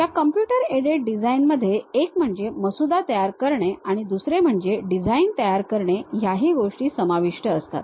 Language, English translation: Marathi, This Computer Aided Design, basically involves one drafting and the second one designing